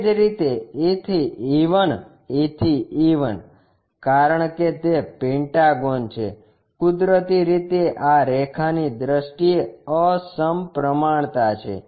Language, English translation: Gujarati, Similarly, E to E 1, E to E 1, because it is a pentagon naturally asymmetry is there in terms of this line